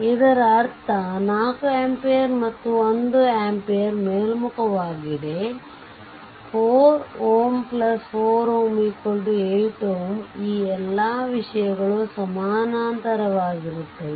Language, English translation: Kannada, If you look 1 ampere 8 ohm, 4 ampere this 4 plus 4 8 ohm all are in parallel